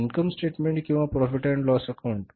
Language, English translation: Marathi, Income statement or the profit and loss account